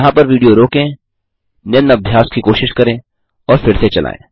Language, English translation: Hindi, Pause the video here, try out the following exercise and resume 1